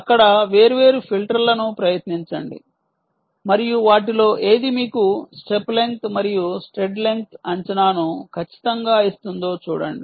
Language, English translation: Telugu, try different filters there and see which one of them accurately give you, ah, the step length and stride length estimation